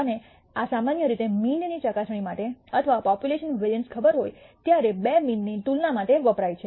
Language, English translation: Gujarati, And this is typically used for testing of the mean or a comparison between two means when the variance of the population is known